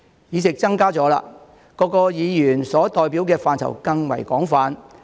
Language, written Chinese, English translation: Cantonese, 議席增多了，各議員所代表的範疇更為廣泛。, With an increased number of seats Members will have a wider representation